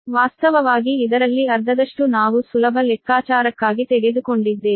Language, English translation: Kannada, half of this, actually half of this, you have taken for easy calculations